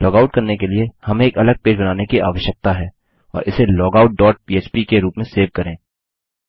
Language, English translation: Hindi, To log out all we need to do is, we need to create a separate page and lets just save it as logout dot php